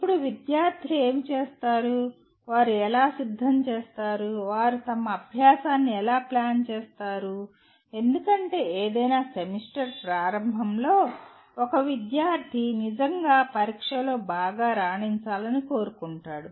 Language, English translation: Telugu, Now what happens students how do they prepare, how do they plan their learning because at the beginning of any semester, a student really wants to do well in the examination